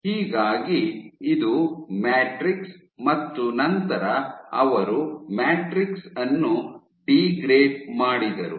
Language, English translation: Kannada, So, this is your matrix and they degrade the matrix